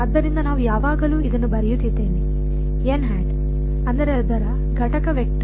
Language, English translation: Kannada, So, I have always being writing this has n hat; that means, its unit vector